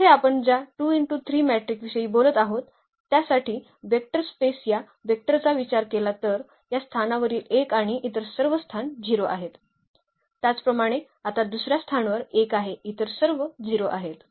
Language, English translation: Marathi, So, here the vector space of all 2 by 3 matrices we are talking about and if we consider these vectors here, the 1 at this position and all other positions are 0; similarly now at the second position is 1 all others are 0